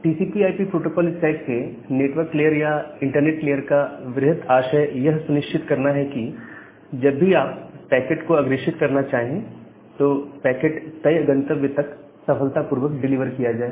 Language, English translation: Hindi, So, the broad objective of this network layer or the internet layer of the TCP/IP protocol stack is to ensure that wherever you want to forward the packet, the packet is successfully delivered to that particular destination